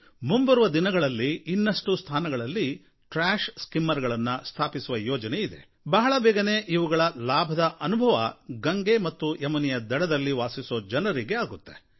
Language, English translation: Kannada, In the coming days, we have plans to deploy such trash skimmers at other places also and the benefits of it will be felt by the people living on the banks of Ganga and Yamuna